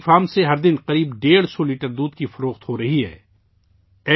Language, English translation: Urdu, About 150 litres of milk is being sold every day from their dairy farm